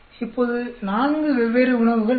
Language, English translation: Tamil, Now there are four different foods